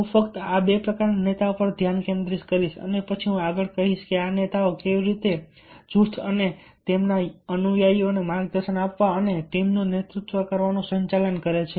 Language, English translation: Gujarati, so i will be just focusing on these two types of leaders and then ah i will tell further that how these leaders are managing to guide and to lead the team, the group and their followers